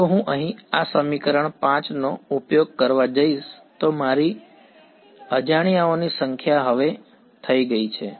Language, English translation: Gujarati, If I am going to use this equation 5 over here my number of unknowns has now become